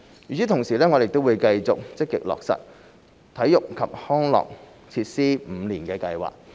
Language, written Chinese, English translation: Cantonese, 與此同時，我們亦會繼續積極落實體育及康樂設施五年計劃。, At the same time we will continue to actively take forward the Five - Year Plan for Sports and Recreational Facilities